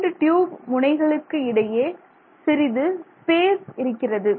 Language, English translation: Tamil, So now you can see here that between the ends of the tubes there is space